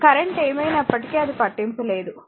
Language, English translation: Telugu, Whatever may be the current it does not matter, right